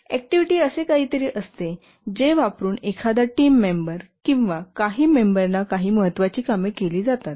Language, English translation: Marathi, An activity is something using which a team member or a few members get some important work done